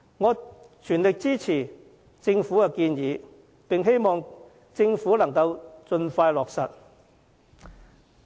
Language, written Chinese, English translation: Cantonese, 我全力支持政府的建議，希望能盡快落實。, I fully support these government initiatives and hope they can be implemented as soon as possible